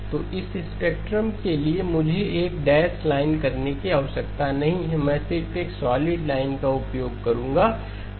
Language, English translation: Hindi, So this spectrum I do not need to do a dashed line, I will just use a solid line is 2pi times 5,000